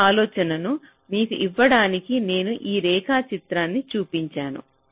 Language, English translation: Telugu, so i have just shown this diagram, just to give you this, this idea